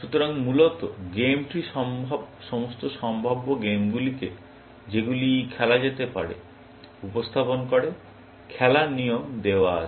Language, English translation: Bengali, So, basically, the game tree represents all possible games that can be played; given the rules of that game